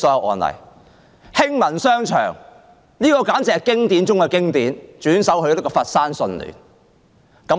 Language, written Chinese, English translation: Cantonese, 還有興民商場，簡直是經典中的經典，被轉售予佛山順聯集團。, Hing Man Commercial Centre is yet another case which is a classic among classics . It was resold to the Sunlink Group of Foshan